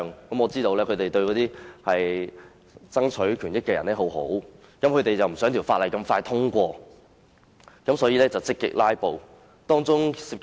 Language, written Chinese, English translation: Cantonese, 我知道他們是想為那些人爭取權益，不想法案這麼快獲得通過，於是便積極"拉布"。, I understand that they did so for the interests of those traders hoping that their active participation in filibustering would delay the passage of the bill as far as possible